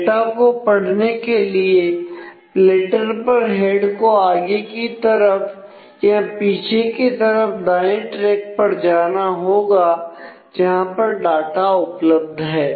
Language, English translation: Hindi, So, to be able to get the data the platter has to the head has to move forward or backward to the right track on which the data is there